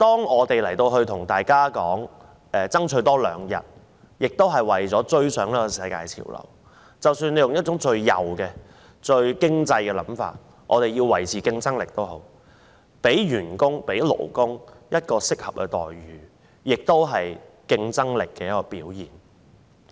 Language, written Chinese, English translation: Cantonese, 我們要多爭取兩日侍產假，也是為了追上世界潮流，即使我們採用最右及最經濟掛帥的思維或以維持競爭力為由，讓員工及勞工享有適合待遇，也是競爭力的表現。, Our fight for two more days of paternity leave is meant to keep abreast with the world trend . Even if we adopt the most rightist point of view or an economy - first mentality or even use maintaining competitiveness as a justification to press for suitable remuneration for employees and workers it is still reflective of our competitiveness